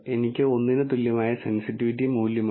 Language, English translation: Malayalam, I have the sensitivity value which is equal to one